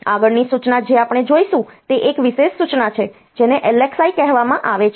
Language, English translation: Gujarati, So, the next instruction that we will look into is a special instruction which is called LXI